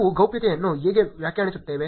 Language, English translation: Kannada, How do we define privacy